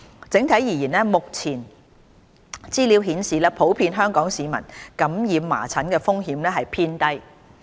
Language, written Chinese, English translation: Cantonese, 整體而言，目前資料顯示普遍香港市民感染麻疹的風險偏低。, On the whole the information available indicates that the risk of contracting measles by the general public is considered to be low in Hong Kong